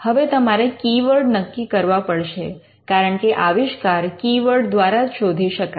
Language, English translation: Gujarati, Now, you have to identify keywords because an invention is searched through keywords